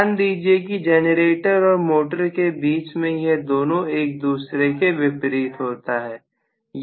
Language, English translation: Hindi, So, please understand that just between the generator and motor, this particular behavior is completely opposite